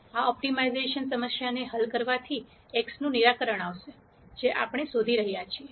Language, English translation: Gujarati, Solving this optimization problem will result in a solution for x, which is what we are going for